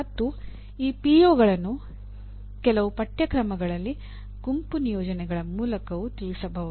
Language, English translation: Kannada, And this PO can also be addressed through group assignments in some courses